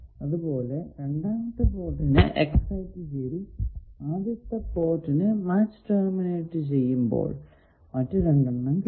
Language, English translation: Malayalam, Similarly, if you excite the second port and match, terminate the first port you get the other 2 S 22 and is 12